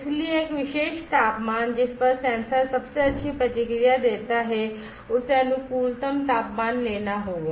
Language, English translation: Hindi, So, a particular temperature at which the sensor gives the best response will have to be taken that is optimum temperature